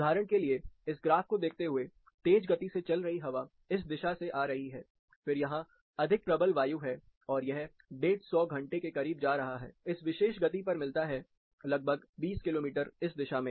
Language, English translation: Hindi, For example, looking at this graph, there is high speed wind coming from this direction, then you have higher intensity winds, as well, it is going for further close to 150 hours you get in this particular velocity, say around 20 kilometers in this direction